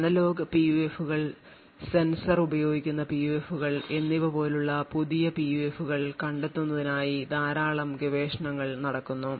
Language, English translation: Malayalam, There is a lot of research which is going on to find actually new PUFs such as analog PUFs, PUFs using sensor and so on